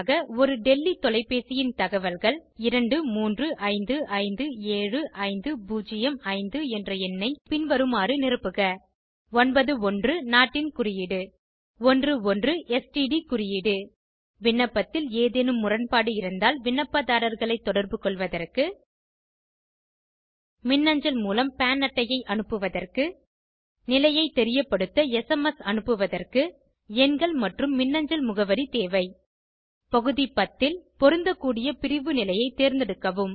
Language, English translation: Tamil, Details of a Delhi telephone 23557505 number should be filled as 9 1 the Country code * 1 1 the STD Code The numbers and e mail id are necessary to contact applicants in case of any discrepancy in the application send the PAN card via e mail SMS the status updates In item 10, select the category status that is applicable